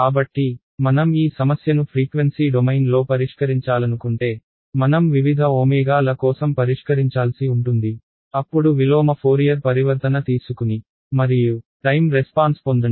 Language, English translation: Telugu, So, if I wanted to solve this problem in frequency domain, I have to solve for various omegas; then take the inverse Fourier transform and get the time response